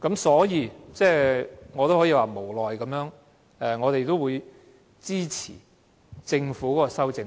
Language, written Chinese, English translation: Cantonese, 所以，我們會無奈地先支持政府的修正案。, Therefore we will reluctantly accept the Governments amendments